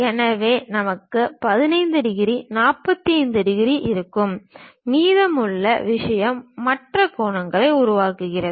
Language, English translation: Tamil, So, we will have 15 degrees, 45 degrees and the remaining thing makes other angle